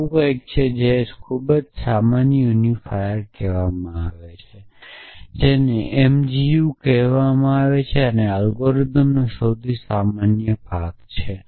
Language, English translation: Gujarati, And there is something called the most general unifier which is called m g u and this algorithm essentially returns the most general unifier